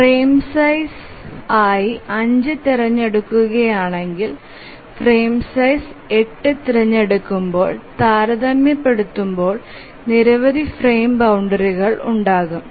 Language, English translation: Malayalam, So, if we choose 5 as the frame size, then there will be many frame boundaries compared to when we choose 8 as the frame size